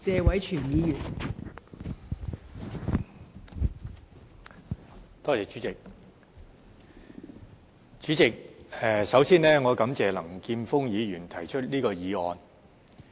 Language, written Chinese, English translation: Cantonese, 代理主席，我首先感謝林健鋒議員提出這項議案。, Deputy President first of all I would like to thank Mr Jeffrey LAM for moving this motion